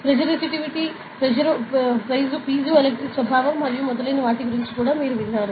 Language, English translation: Telugu, So, you must have also heard about piezoresistivity, piezoelectric nature and so on